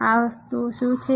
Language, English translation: Gujarati, What are these things